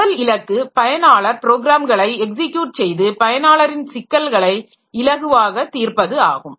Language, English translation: Tamil, First goal is to execute user programs and make solving user problems easier